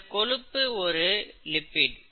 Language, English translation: Tamil, Fat is a lipid